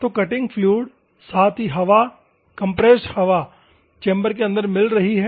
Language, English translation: Hindi, So, the cutting fluid, as well as the air, compressed air is mixing inside the chamber